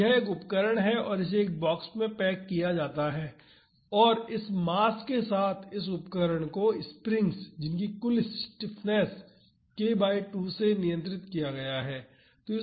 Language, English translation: Hindi, So, this is an instrument and it is packed in a box and this instrument with this mass m is restrained by springs of total stiffness k by 2